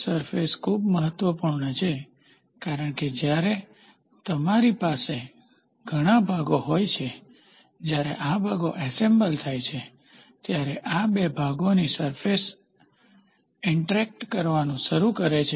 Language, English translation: Gujarati, Surfaces are very important because, when you have when you have several parts, when these parts are assembled, the surface of these two parts starts interacting